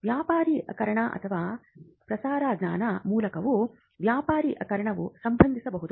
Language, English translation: Kannada, The commercialization can also happen through dissemination or diffusion of the knowledge